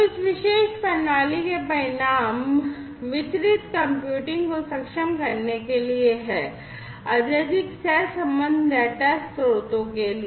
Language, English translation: Hindi, So, the results of this particular system is to enable distributed computing, for highly correlated data sources